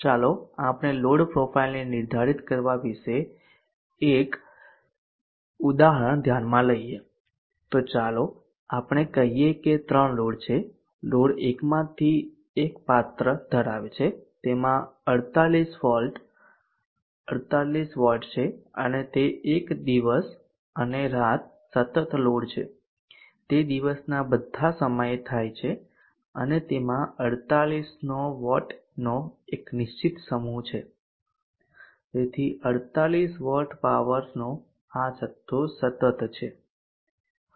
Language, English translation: Gujarati, Let us consider an example on determining the load profile, so let us say that there are three loads one of the load one is having this character it is having 48 volts 48 wax and it is a day and night continuous load, it occurs on all times of the day but and it has a fixed set of wax of 48, so this much amount of power 48 back power continuously now load 2, let us say is a water pumping device